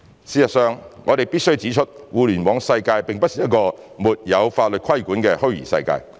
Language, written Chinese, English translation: Cantonese, 事實上，我們必須指出，互聯網世界並不是一個沒有法律規管的虛擬世界。, Indeed we must point out that the cyber world of the Internet is not a virtual space not bound by law